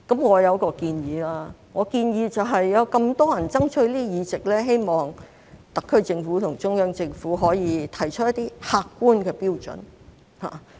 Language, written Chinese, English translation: Cantonese, 我有一個建議，我建議有這麼多人爭取議席，希望特區政府和中央政府可以提出一些客觀標準。, I have a suggestion . Given that so many people will compete for seats I suggest that the SAR Government and the Central Government should set out some objective criteria . We are not talking about individuals and the human factor should be excluded